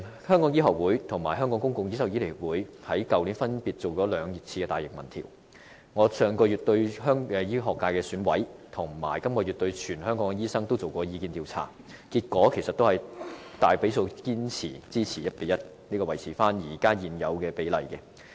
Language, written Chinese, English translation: Cantonese, 香港醫學會和香港公共醫療醫生協會去年曾分別進行了兩項大型民調，而我在上月和本月亦分別向醫學界選委和全香港醫生進行了意見調查，結果顯示大比數支持維持現有 1：1 的比例。, There were two large - scale opinion polls last year one conducted by the Hong Kong Medical Association and the other by the Hong Kong Public Doctors Association . And on my part I also conducted one opinion poll among the Medical Subsector of the Election Committee and another poll for all doctors in Hong Kong last month and this month respectively . The results indicate a majority support for sticking to the existing ratio of 1col1